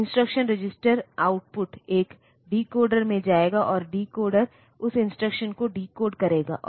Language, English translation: Hindi, So, instruction registers output will go to a decoder and the decoder will decode that instruction